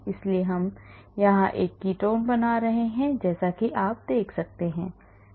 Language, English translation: Hindi, So, I am making a ketone here as you can see